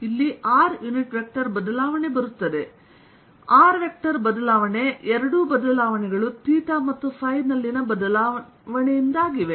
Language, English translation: Kannada, r unit vector change comes both r unit vector changes, both due to change in theta and phi